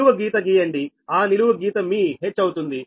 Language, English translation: Telugu, you draw a vertical line here, right, that means that is your h